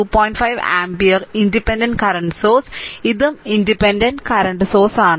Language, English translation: Malayalam, 5 ampere independent current source, this is also independent current source